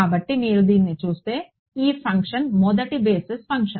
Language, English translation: Telugu, So, this function if you look at this is the first basis function